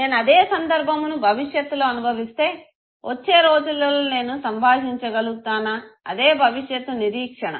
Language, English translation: Telugu, If same situation I experienced in the near future, in the days to come would I be able to handle it, that is the future expectation